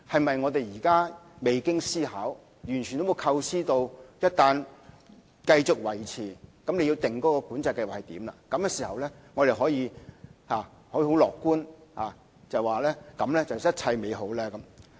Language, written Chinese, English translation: Cantonese, 是不是現時我們未經思考，完全沒有構思一旦繼續維持計劃，因而要訂出計劃的詳情，這樣便可以樂觀地說句一切美好呢？, Can we say optimistically that everything will change for the better if we now hasten to formulate details on PCS without giving any consideration or thoughts whatsoever to the consequences of its retention?